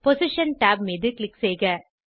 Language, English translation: Tamil, Click on Position tab